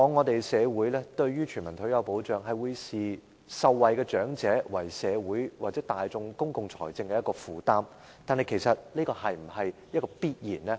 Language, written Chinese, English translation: Cantonese, 就全民退休保障來說，社會往往會視受惠的長者為社會或大眾公共財政的負擔，但其實這是否必然呢？, Insofar as universal retirement protection is concerned the elderly beneficiaries are often perceived as a burden on society or public finance but is that really so?